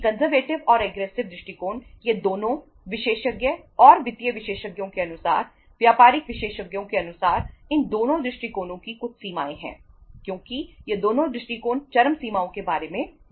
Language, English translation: Hindi, As I told you that conservative and aggressive approach, both these approaches as per the experts and financial experts as per as the business experts, both these approaches have some limitations because both these approaches talk about the extremes